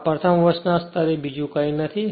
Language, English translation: Gujarati, This much for first year level nothing else